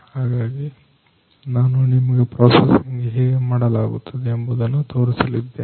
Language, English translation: Kannada, So, I am going to show you how this processing is done